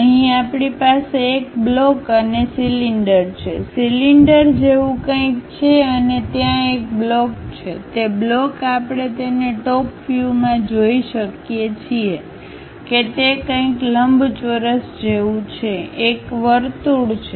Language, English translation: Gujarati, Here we have a block and cylinders, something like a cylinder and there is a block, that block we can see it in the top view it is something like a rectangular block, there is a circle